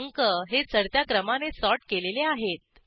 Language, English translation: Marathi, The numbers are sorted in ascending order